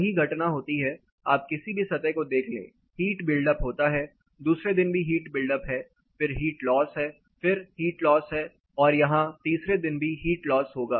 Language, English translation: Hindi, The same phenomena if you look at any particular surface there is a heat buildup, second day there is a heat buildup, there is a heat loss, there is a heat loss and this is for the third day that is going to be a heat loss